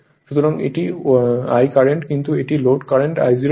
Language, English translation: Bengali, So, this is the currentI that is no load current I 0